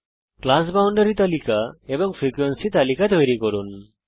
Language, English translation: Bengali, Let us create the class boundary list and the frequency list